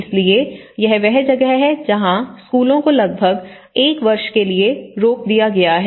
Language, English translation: Hindi, So, that is where the schools have been stopped for about one year, nearly one year